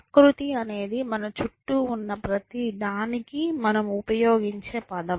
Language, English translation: Telugu, Nature is some term that we use for everything that is around us